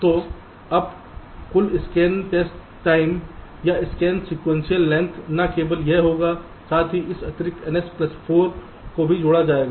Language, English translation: Hindi, so now the total scan test time or the scan sequence length will be: not only this, plus this additional n